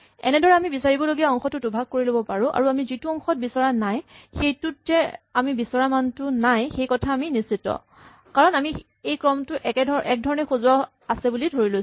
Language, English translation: Assamese, So we can halve the amount of space to search and we can be sure that the half we are not going to look at positively does not have the value because we are assuming that this sequence is sorted